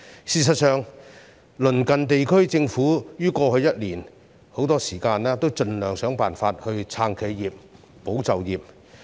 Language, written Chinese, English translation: Cantonese, 事實上，鄰近地區的政府於過去一年很多時均盡量設法"撐企業，保就業"。, In fact in the past year governments of our neighbouring regions have tried their best to support enterprises and safeguard jobs for most of the time